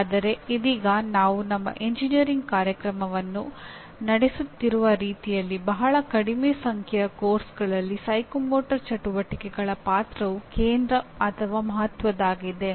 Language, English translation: Kannada, But right now, the way we are conducting our engineering programs there are very small number of courses where the role of psychomotor activities is becomes either central or important